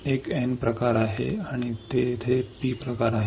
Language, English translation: Marathi, There is a N type and there is P type